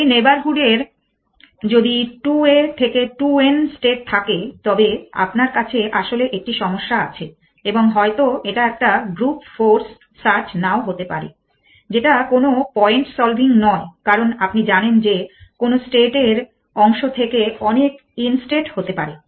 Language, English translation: Bengali, If the neighborhood has to a to n states then you have actually the problem and may be not a group force search which is no point solving because you know to which instates part to many inspect any way